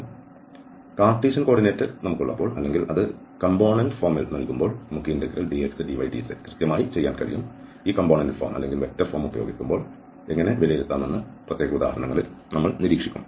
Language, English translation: Malayalam, And when we have the cartesian coordinate or in the component form it is given then we can exactly do this integral dx, dy, dz and we will observe in particular examples that how to evaluate when we use this component form or the vector form